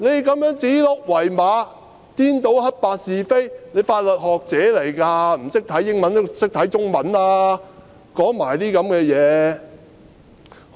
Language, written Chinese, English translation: Cantonese, 她這樣指鹿為馬，顛倒黑白是非，她是法律學者，不懂英文也懂得中文吧，但她竟然說這些話。, She has called a stag a horse and confused right and wrong . She is an academic of law and if she does not know English she should at least know Chinese and yet she outrageously made those remarks